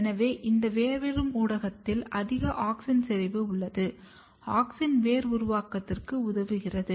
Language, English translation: Tamil, So, this rooting media has high auxin concentration, auxin helps in the initiation of root formation